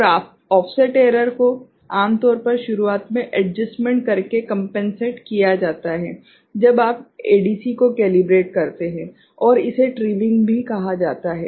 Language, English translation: Hindi, And offset error usually is compensated by doing adjustment in the beginning, when you calibrate the ADC, and it is also called trimming ok